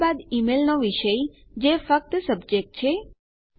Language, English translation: Gujarati, Then the subject of the email which is just subject